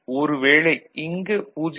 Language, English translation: Tamil, So, at that time 0